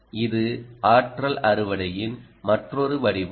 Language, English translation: Tamil, ah, this is another form of energy harvesting